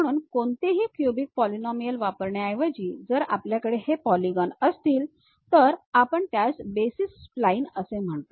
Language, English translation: Marathi, So, instead of using any cubic polynomials, if we are going to have these polygons, we call that as basis splines